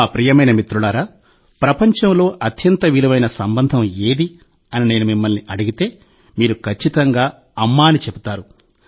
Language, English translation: Telugu, My dear friends, if I ask you what the most precious relationship in the world is, you will certainly say – “Maa”, Mother